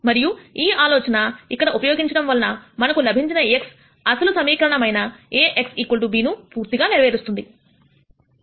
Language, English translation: Telugu, And since we use this idea here the x that we get is such that A x equal to b that is satisfies the original equation